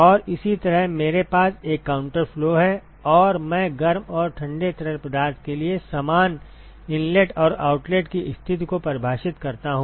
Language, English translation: Hindi, And similarly I have a counter flow and, I define the same inlet and outlet conditions for the hot and the cold fluid ok